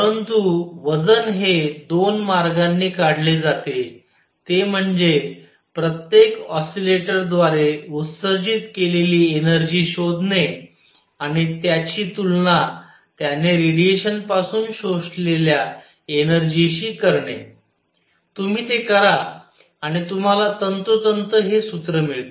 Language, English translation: Marathi, But the weight is derived as a two ways one is to find the energy radiated by each oscillator and equate it to the energy absorbed by it from the radiation, you do that and you get precisely this formula